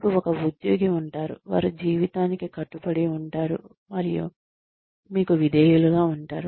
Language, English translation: Telugu, You will have an employee, who will be committed, and loyal to you, for life